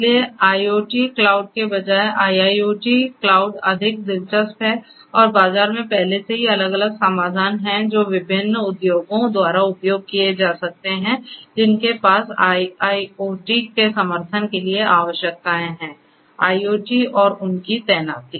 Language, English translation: Hindi, So, IIoT cloud rather than IoT cloud is more interesting and there are different; different solutions already in the market that could be used by different industries to who have requirements for support of IIoT; IoT and their deployment